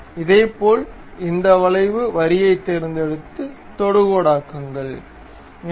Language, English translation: Tamil, Similarly, pick this curve line make it tangent